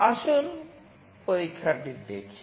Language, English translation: Bengali, Let us look into the experiment